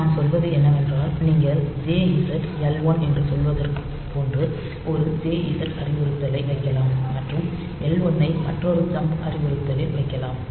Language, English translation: Tamil, So, what I mean is that you can put a JZ instruction like say JZ L 1 and that L 1 you put another I am sorry in this L 1, you put say another jump instruction